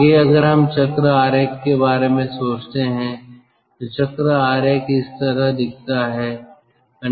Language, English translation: Hindi, next, if we think of the cycle diagram, the cycle diagram looks like this